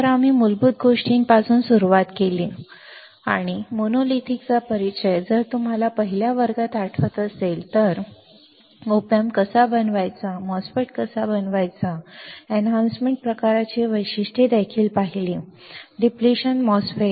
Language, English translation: Marathi, So, we started with basics and introduction of monolithic is if you remember in the first class, then we moved on to how to make the op amp, how to make the MOSFET, and then we have also seen some characteristics of a enhancement type, depletion type MOSFET right